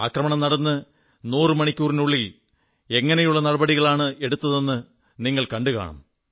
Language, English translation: Malayalam, You must have seen how within a hundred hours of the attack, retributive action was accomplished